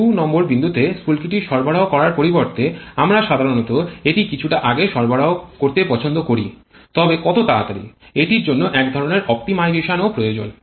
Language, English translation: Bengali, Instead of providing the spark at point 2 we generally prefer to provide it a bit earlier but how much early that also requires some kind of optimization